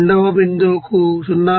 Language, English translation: Telugu, Second point is given 0